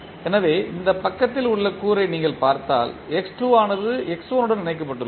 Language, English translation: Tamil, So, if you see the component at this side x2 is connected with x1 how you are connecting